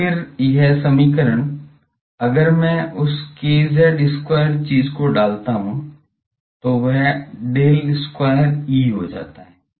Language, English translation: Hindi, So, then this, this equation if I put that k z square thing it becomes del square E